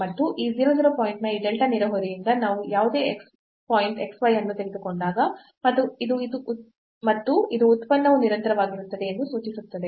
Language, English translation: Kannada, And, whenever we take any point xy from this delta neighborhood of this 0 0 point and this implies that the function is continuous